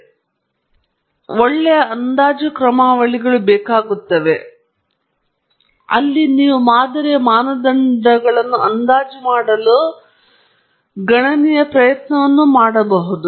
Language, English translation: Kannada, However, they require good estimation algorithms, because you are going to estimate parameters of the model and so on, and there can be considerable computational effort there